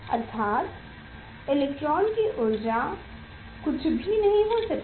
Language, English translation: Hindi, It is the energy electron cannot take any energy